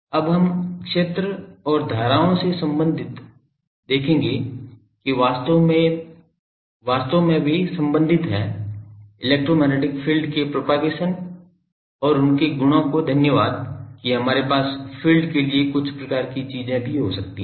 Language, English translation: Hindi, Now our fields and currents related by something we will see that actually they are related thanks to electromagnetic fields their propagation and their properties that we can have some current type of things even for fields